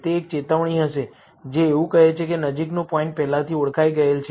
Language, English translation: Gujarati, It will be a warning, which reads as nearest point already identified